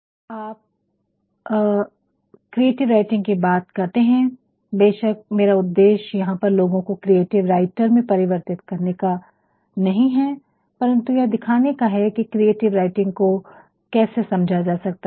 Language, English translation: Hindi, Now, when you talk about creative writing of course, my aim here is not to convert people into creative writers, but then to show them, certain ways as to how they can understand creative writing